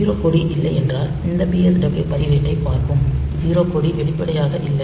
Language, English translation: Tamil, So, there is no 0 flag, actually and if you look into this PSW register, so we do not have any explicit 0 flag